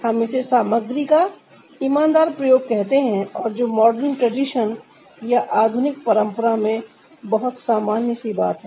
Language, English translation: Hindi, we call it the honest use of material and that is very common in ah, the modern tradition